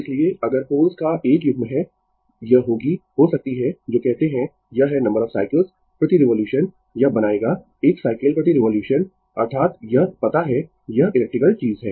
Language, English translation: Hindi, So, if you have 1 pair of poles, it will may your what you call it is number of cycles per revolution, it will make 1 cycle per revolution, that is your it is you know it is electrical thing